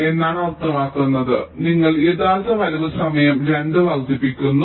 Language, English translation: Malayalam, you are increasing the actual arrival time by two